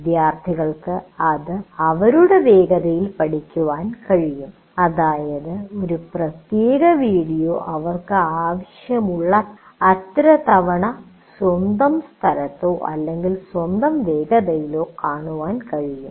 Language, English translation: Malayalam, That means they can look at a particular video presentation as many times as you as they want or at their own place or at their own pace